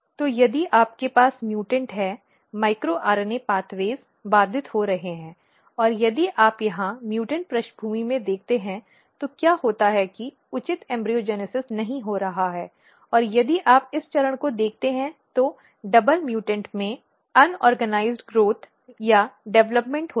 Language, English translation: Hindi, So, if you have mutant basically micro RNA pathways are getting disrupted, and if you look here in the mutant background what happens that proper embryogenesis is not taking place and if you look at this stage the double mutant has unorganized growth or development